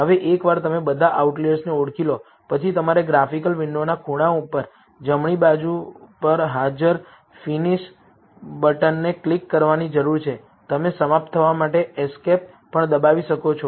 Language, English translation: Gujarati, Now, once you have identified all the outliers, you need to click the finish button that is present on the top right, corner of the graphical window, you can also press escape to finish